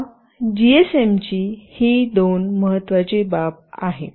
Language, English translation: Marathi, These are the two important aspect of this GSM